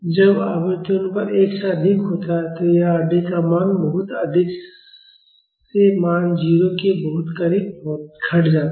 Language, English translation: Hindi, When the frequency ratio is higher than 1, it the value of R d decreases from a very high value to very close to 0